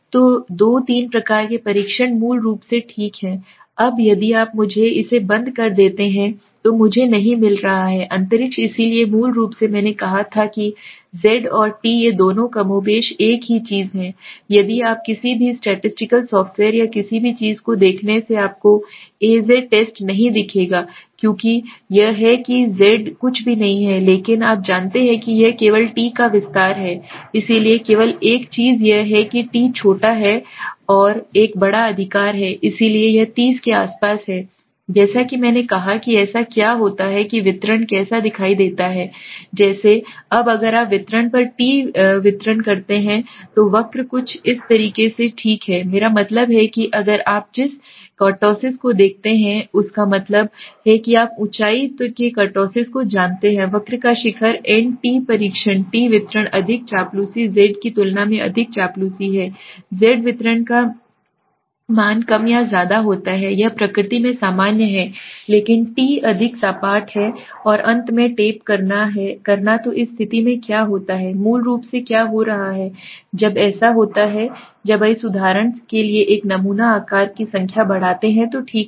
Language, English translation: Hindi, So there are two three types of test basically okay now if you let me rub this off I am not getting space so basically as I said the z and the t these two are more or less the same thing right if you look into any statically software or anything you would not see a z test because that it is that z is nothing but an you know it is extension of the t only right so only thing is that t is small and this is a large right so this is around 30 as I said so what happens is how does the distribution look like now if you take a t distribution the t distribution the curve is something like this okay now what I mean that means what if you look at the kurtosis you know the kurtosis of the height the peaked ness of the curve the t test the t distribution is more flatter is more flatter than the z distribution the z distribution is more or less it is normal in nature right but the t is more flat and tapering at the end so what happens in this situation what is basically happening is so when a t when you extend increase the number of sample size for example okay